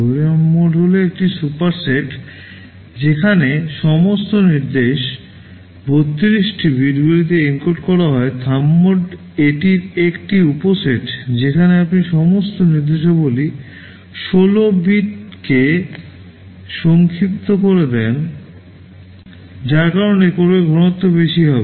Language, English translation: Bengali, ARM mode is a superset where all instruction are encoding in 32 bits, Thumb mode is a subset of that where you make all the instructions shorter in 16 bits because of which code density will be higher